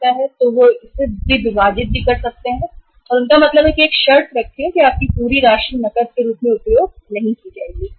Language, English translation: Hindi, So they also bifurcate it and they means put a condition that your entire amount cannot use as cash